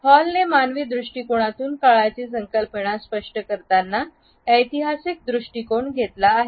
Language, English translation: Marathi, Hall has taken a historical perspective as far as the human concept of time is concerned